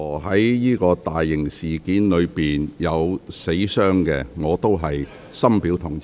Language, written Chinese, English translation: Cantonese, 在任何大型事件中有人死傷，我都深表同情。, I would express my deepest sympathy in any major incident where casualties are involved